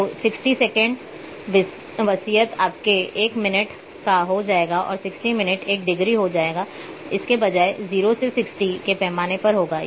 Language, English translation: Hindi, So, 60 seconds will be a will become your one minute and 60 minutes will become one degree, this instead of having a 0 to 60 scale